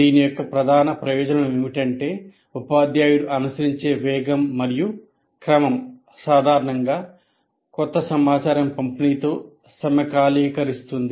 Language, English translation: Telugu, The major advantage of this is the pace and the sequence followed by the teacher generally syncs with the delivery of new information